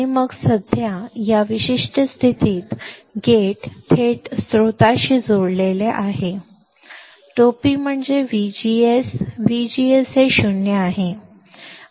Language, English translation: Marathi, And then, right now in this particular condition, the gate is directly connected to source; that means, that V G S, V G S is 0